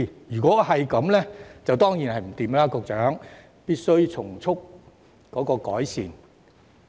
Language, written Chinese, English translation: Cantonese, 如果情況屬實，局長當然不能坐視不理，必須從速改善。, If this is true the Secretary must take action to expeditiously improve the situation